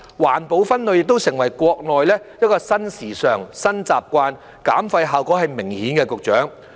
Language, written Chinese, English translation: Cantonese, 環保分類亦成為國內的新時尚、新習慣，減廢效果是明顯的，局長。, Waste separation for environmental protection has also become a new trend and a new habit in the Mainland where the effect of waste reduction is obvious Secretary